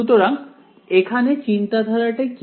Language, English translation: Bengali, So, what is the idea here